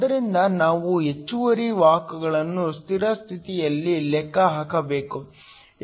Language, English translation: Kannada, So, we need to calculate the excess carriers at steady state